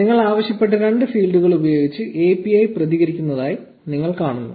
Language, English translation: Malayalam, And you see that the API responds with the two fields that you asked for